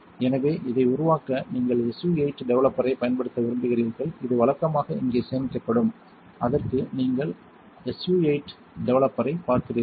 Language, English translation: Tamil, So, to develop you want to use SU 8 developer which is usually stored down here, where you see SU 8 developer